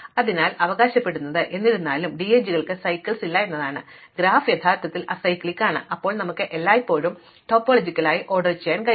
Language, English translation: Malayalam, So, what we claim; however, is that for DAGs that is if there is no cycle, the graph is actually acyclic then we can always order it topologically